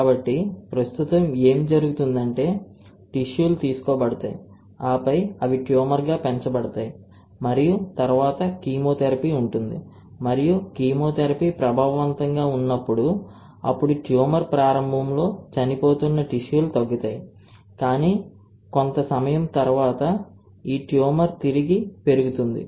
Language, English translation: Telugu, So, right now what happens is that the cells are taken, right and then they are grown to form a tumor and then there is chemotherapy and at the chemotherapy is effective, then initially the cells which are dying tumor will reduce, but after some time this tumor will regrowth, alright